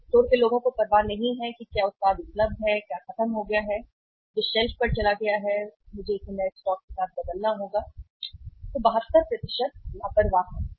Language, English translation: Hindi, Store people do not care what product is available, what is finished which has gone off the shelf which is on the shelf and I have to replace it with the new stock they are careless, 72%